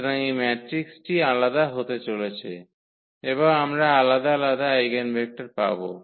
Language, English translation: Bengali, So, this matrix is going to be different and we will get different eigenvectors